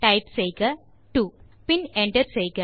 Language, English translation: Tamil, So you type 2 and hit enter